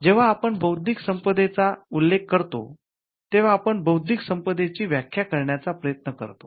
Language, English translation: Marathi, Now when we mention intellectual property, we are specifically trying to define intellectual property as that is distinct from real property